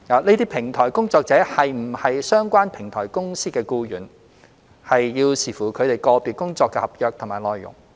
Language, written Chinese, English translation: Cantonese, 這些平台工作者是否為相關平台公司的僱員，需視乎他們個別工作的合約內容。, Whether platform workers are employees of the relevant platform companies depends on the terms of their individual contracts